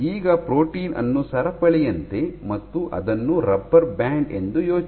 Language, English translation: Kannada, So, you think of a protein as a chain, this as a rubber band